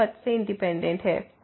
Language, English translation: Hindi, This is independent of the path